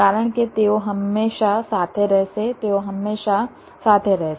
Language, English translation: Gujarati, because they will always remain together